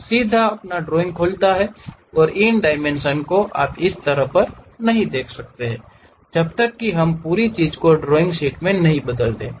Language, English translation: Hindi, It straight away opens the drawing and these dimensions you may not see it at this level, unless we convert this entire thing into a drawing sheet